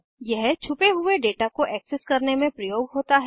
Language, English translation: Hindi, It is used to access the hidden data